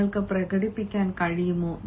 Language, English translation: Malayalam, are you able to express